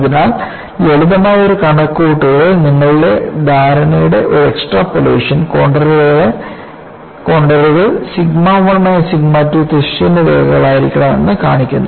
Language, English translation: Malayalam, So, a simple calculation, an extrapolation of your understanding, shows the contours are sigma 1 minus sigma 2 have to be horizontal lines